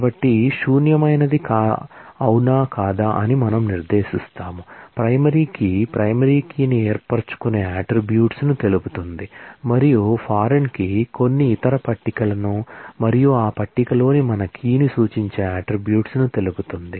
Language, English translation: Telugu, So, not null we specify whether a field can be null or not, primary key as we have seen will specify the attributes which form the primary key, and the foreign key will specify the attributes which reference some other table and our key in that table